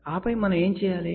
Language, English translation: Telugu, And then what we do